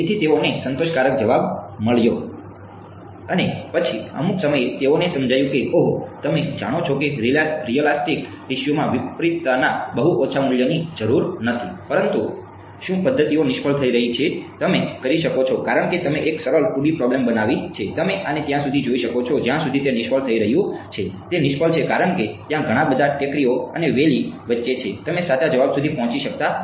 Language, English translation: Gujarati, And then at some point they realized oh you know realistic tissue need not have very small values of contrast, but are methods are failing you can because you made a simple 2 D problem you can you can see this until why it is failing; its failing because there are so many hills and valleys in between that you are not able to reach the correct answer